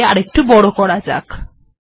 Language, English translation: Bengali, Let me also make it slightly bigger